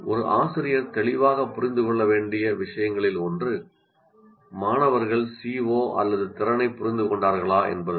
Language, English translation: Tamil, So one of the things teacher needs to clearly understand is whether the students have understood the, or the, whether C O, whether you use the word C O are the competency